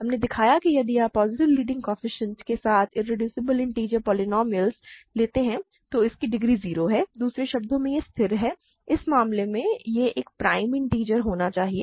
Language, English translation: Hindi, We showed that if you take an irreducible integer polynomial with positive leading coefficient then either its degree is 0, in other words it is constant in which case it must be a prime integer